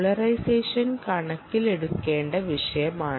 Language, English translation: Malayalam, polarization is the topic of interest